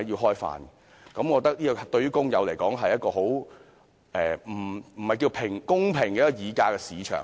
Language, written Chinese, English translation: Cantonese, 我覺得對工友來說，這不是一個公平的議價市場。, To the workers I think this is not a fair market for bargaining